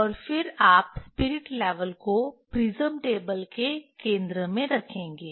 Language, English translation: Hindi, And then you will place the spirit level at the centre of the prism table